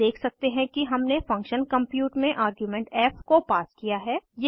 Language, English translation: Hindi, You can see that we have passed the argument as f in function compute